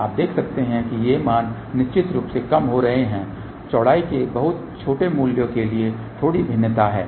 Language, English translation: Hindi, You can see that these values are decreasing of course, there is a little bit of a different variation for very small values of width